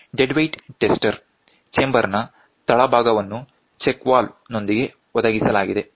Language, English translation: Kannada, The bottom of the dead weight tester chamber with a check valve is provided